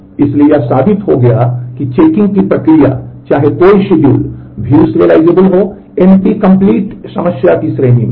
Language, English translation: Hindi, So, it has been proved that the of checking, whether a schedule is view serializable is in the class of NP complete problem